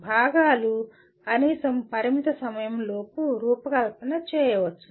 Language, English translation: Telugu, Components can be designed, at least within the limited time